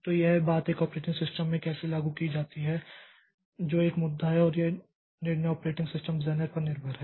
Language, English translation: Hindi, So, how the how this thing is implemented in an operating system that is an issue and that is up to the operating system designer to take a decision